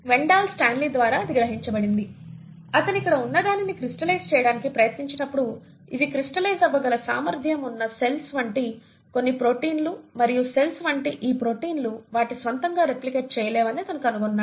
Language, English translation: Telugu, Later it was realised by Wendall Stanley, when he tried to crystallise what was here, he found that these are some protein like particles which are capable of crystallisation and these protein like particles, on their own, cannot replicate